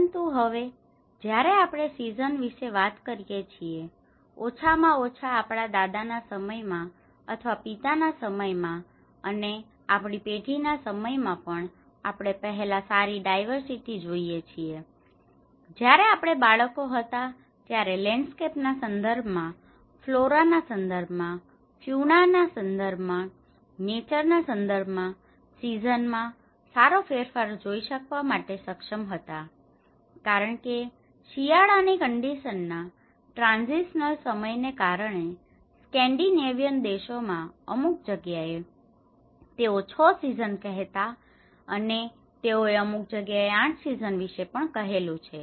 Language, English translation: Gujarati, But now, when we talk about seasons, earlier we could see a very good diversity at least our great grandfather’s time or father’s time even in our generation, when we were kids we could able to see a good difference in over the seasons you know in terms of its landscape, in terms of its flora, in terms of its fauna, in terms of the nature because in Scandinavian countries they call it a 6 seasons in some places they even call about 8 seasons in some places because of the winter conditions of the transitional time